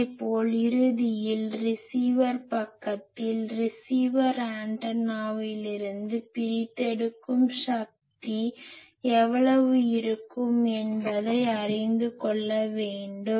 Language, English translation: Tamil, Similarly in the receiver side ultimately receiver will have to know that I will have extract power from the receiving antenna